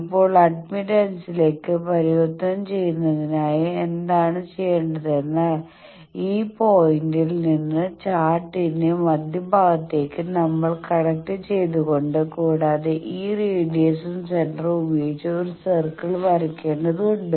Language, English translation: Malayalam, Now to convert it to admittance what you need to do from this point to we need to connect to the center of the chart and with this radius and center draw a circle